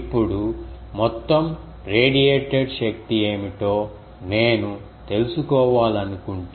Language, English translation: Telugu, Now, if I want to find out what is the total radiated power